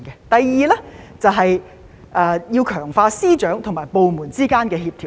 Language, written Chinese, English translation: Cantonese, 第二，便是要強化司長和部門之間的協調。, Second there should be stronger coordination among the Secretaries and various departments